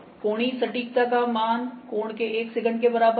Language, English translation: Hindi, So, angular accuracy is by 1 second of the angle